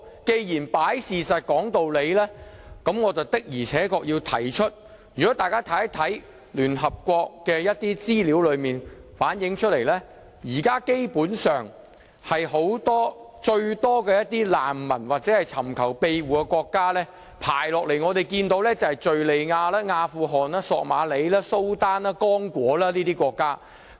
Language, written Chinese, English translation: Cantonese, 既然是擺事實，講道理，那麼我要指出請大家看一看聯合國的一些資料，所反映的是現在最多難民或尋求庇護的國家排名，分別是敘利亞、阿富汗、索馬里、蘇丹、剛果等國家。, As we give our speeches based on facts and justifications I wish to refer Members to information from the United Nations about countries having most refugees or people seeking refuge namely Syria Afghanistan Somalia Sudan and Congo and so on